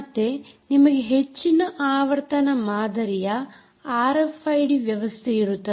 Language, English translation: Kannada, then you have high frequency type of r f i d systems